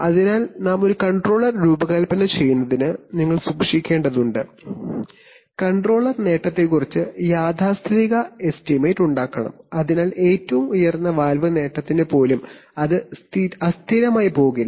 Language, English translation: Malayalam, So to design a controller you will have to keep the, you will have to keep the, you have to make a conservative estimate of the controller gain, so that even for the highest valve gain, it will not go unstable right